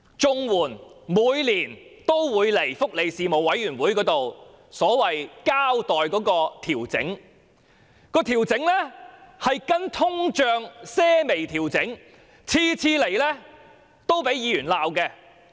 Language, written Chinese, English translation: Cantonese, 政府每年也會向福利事務委員會交代綜援金額的調整，根據通脹作出微調，每次也遭議員批評。, The Government would brief the Panel on Welfare Services on the adjustment of CSSA rates every year . The practice of making minor adjustments in accordance with inflation was criticized by Members on every occasion